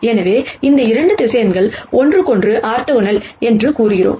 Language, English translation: Tamil, So, we say that these 2 vectors are orthogonal to each other